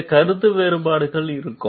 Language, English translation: Tamil, So, these differences of opinion will be there